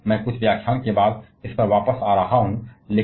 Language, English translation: Hindi, Well I shall be coming back to this after a few lectures